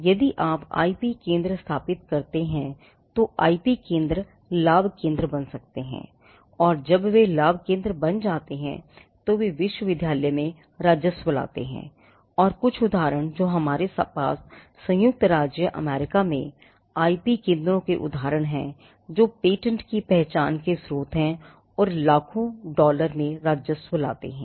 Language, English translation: Hindi, If you set up IP centres IP centres could become profit centres and when they become profit centres, they bring revenue to the university and some of the examples that we have in the United States are instances of IP centres being the source for identifying patents which brought in revenue in millions of dollars